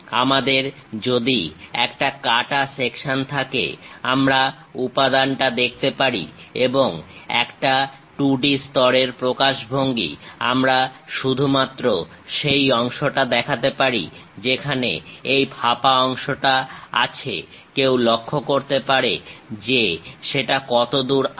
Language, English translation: Bengali, In case if we have a cut section, we can clearly see the material and a 2 D level representation; we can show only that part, where this hollow portion one can note it, up to which level